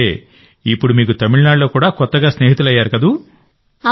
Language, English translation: Telugu, So now you must have made friends in Tamil Nadu too